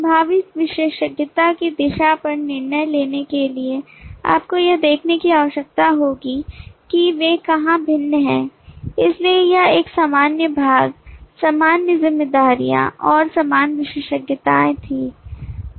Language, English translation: Hindi, next to do on the direction of possible specialization you will need to look at where do they differ so this was a common part, common responsibilities and common attributes